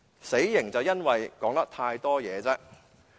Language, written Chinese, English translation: Cantonese, 死刑的原因是說話太多。, The reason for the death penalty was he had talked too much